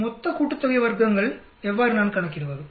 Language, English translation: Tamil, How do I calculate total sum of squares